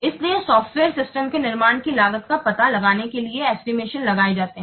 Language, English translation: Hindi, So estimates are made to discover the cost of producing a software system